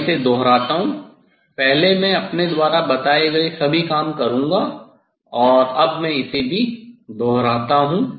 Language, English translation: Hindi, I repeat it, earlier I will all I told and now also I repeat it